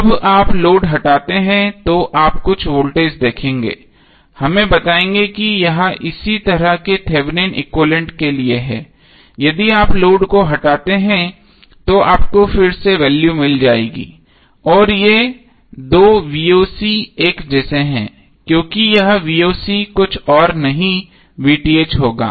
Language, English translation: Hindi, When you remove the load you will see some voltage let us say it is voc similarly for the Thevenin equivalent that is here if you remove the load you will again get the value voc and these two voc are same because this voc would be nothing but VTh